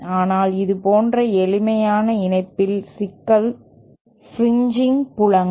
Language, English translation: Tamil, But the problem with such a simple connection is fringing fields